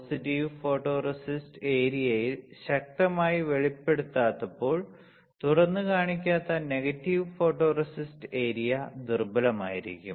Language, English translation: Malayalam, In positive photoresist area not exposed stronger, negative photoresist area not exposed will be weaker